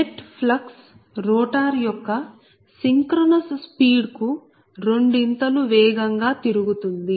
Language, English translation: Telugu, that means the net flux rotates twice the synchronous speed of the rotor